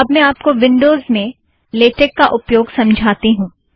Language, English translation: Hindi, I will now explain how to use latex in windows operating system